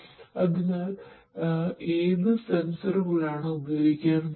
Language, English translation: Malayalam, So, what sensors are going to be used